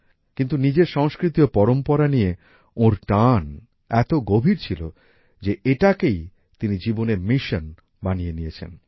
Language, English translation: Bengali, But, his attachment to his culture and tradition was so deep that he made it his mission